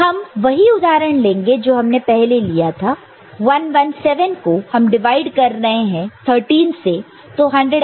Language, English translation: Hindi, So, the example you take is the same one that we had taken before that is 117 divided by 13 all right